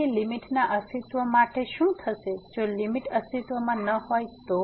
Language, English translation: Gujarati, So, what will happen for the Non Existence of a Limit if the limit does not exist for